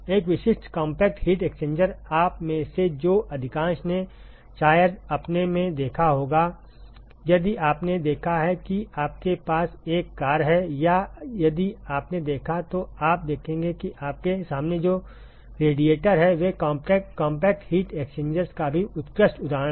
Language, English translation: Hindi, A typical compact heat exchanger … most of you probably would have seen in your if you have seen you have a car or if you have noticed you will see that the radiators that you have in the front even excellent example of compact heat exchangers